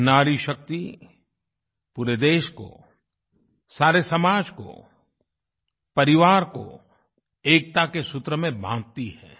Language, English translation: Hindi, This woman power binds closely together society as a whole, the family as a whole, on the axis of unity & oneness